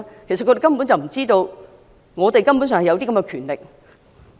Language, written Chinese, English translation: Cantonese, 其實他們根本不知道這是本會根本享有的權力。, In fact they do not know that this is the fundamental power of this Council